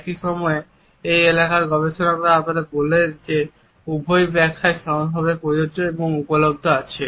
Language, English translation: Bengali, At the same time researchers in this area tell us that both these interpretations are equally applicable and available